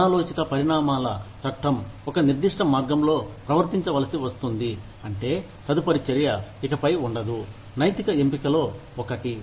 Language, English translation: Telugu, The law of unintended consequences, being forced to behave in a certain way means, that the subsequent act is no longer, one of ethical choice